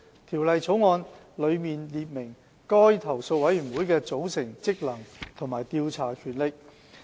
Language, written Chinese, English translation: Cantonese, 《條例草案》內列明該投訴委員會的組成、職能和調查權力。, The Bill will set out the formation functions and investigation powers of the complaints committee